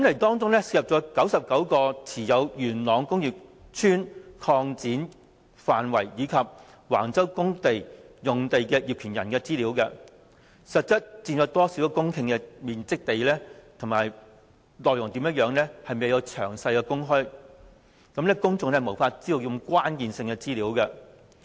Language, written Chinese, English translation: Cantonese, 當中涉及99個持有元朗工業邨擴展範圍及橫洲公屋用地的業權人資料、當中實質佔有多少公頃面積的土地等內容，均未有詳細公開，公眾因而無法得知這些關鍵性資料。, Information on the particulars of 99 owners of land within the sites for Yuen Long Industrial Estate extension and public housing development at Wang Chau and the exact hectares of land actually held by these owners were not disclosed in detail thus the public could not get hold of these crucial data